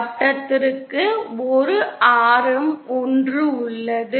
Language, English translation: Tamil, The circle have a radius 1